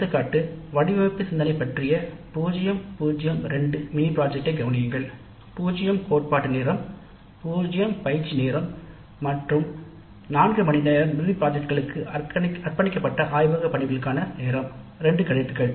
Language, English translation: Tamil, Example, consider a zero zero two mini project course on design thinking, zero theory hours, zero tutorials and four hours of laboratory work devoted to the mini project, two credits